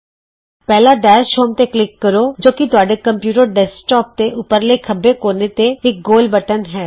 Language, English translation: Punjabi, First, click Dash Home, which is the round button, on the top left corner of your computer desktop